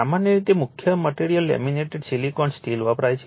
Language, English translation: Gujarati, The core material used is usually your laminated silicon steel